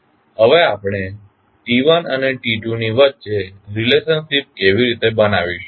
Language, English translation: Gujarati, Now, how we will create the relationship between T1 and T2